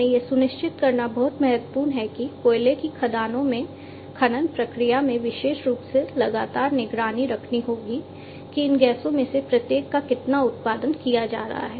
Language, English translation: Hindi, So, we need to it is very important to it to ensure that in the mining process in an in coal mines particularly to monitor continuously monitor the level or the concentration of each of these gases that are being produced